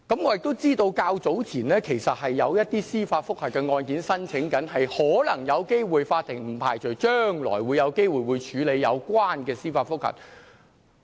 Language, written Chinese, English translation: Cantonese, 我知道較早前有一些案件正申請司法覆核，不排除法庭將來可能有機會處理有關的司法覆核個案。, As I know applications were filed for judicial review in respect of certain cases and we cannot rule out the possibility that the court will have to deal with such cases of judicial review